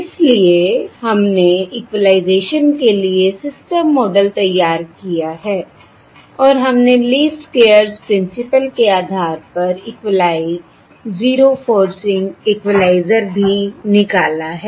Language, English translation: Hindi, alright, So we have formulated the system model for equalization and we have also derived the equali, the zero forcing equalizer, based on the least squares principle